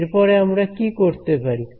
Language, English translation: Bengali, So, what further can we do this